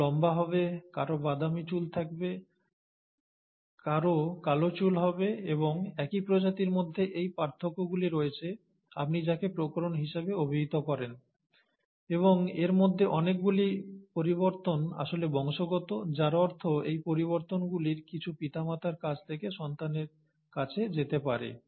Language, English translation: Bengali, Somebody will be taller, somebody would have brown hair, somebody would have black hair, and these differences, within the same species is what you call as variations, and many of these changes are actually heritable, which means, some of these changes can be passed on from the parents to the offspring